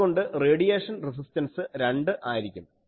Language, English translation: Malayalam, 5 so, radiation resistance will be 2